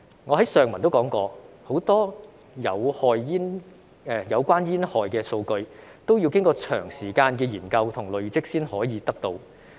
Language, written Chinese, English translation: Cantonese, 我在上文也提到，很多有關煙害的數據，均需要經過長時間的研究和累積才可以得到。, As I mentioned above a lot of data about the hazards of tobacco can only be available after a long period of study and must be accumulated over time